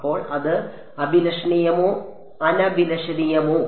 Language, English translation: Malayalam, So, it is that desirable or undesirable